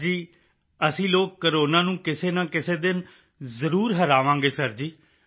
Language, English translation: Punjabi, Sir, one day or the other, we shall certainly defeat Corona